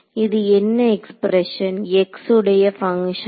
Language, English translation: Tamil, So, this is a function of x